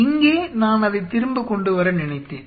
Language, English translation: Tamil, Here I thought that I bring it back